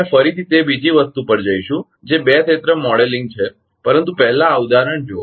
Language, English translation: Gujarati, We will come again that two area modeling other thing, but first look at this example